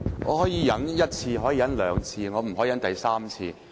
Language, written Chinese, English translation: Cantonese, 我可以忍受一次、兩次，但我不能忍受第三次。, I can tolerate this for the first time the second time but not the third time